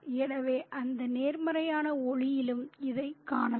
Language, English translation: Tamil, So, it could be seen in that positive light too